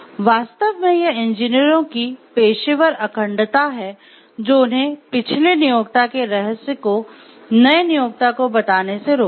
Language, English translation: Hindi, So, this is the professional integrity of the engineers actually, which restricts them from telling in a secret of the past employer to the new employee, a new employer